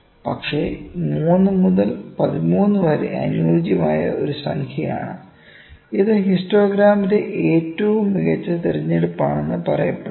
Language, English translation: Malayalam, But, 3 to 13 is an ideal or I can say the best selection of the histogram as a graphic tool